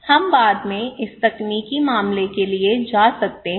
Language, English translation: Hindi, We can go for this technological matter in later on